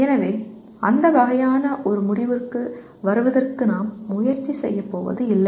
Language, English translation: Tamil, So we will not even attempt to kind of make a try to come to some kind of a conclusion going through that